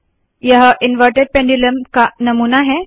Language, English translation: Hindi, This is a model of an inverted pendulum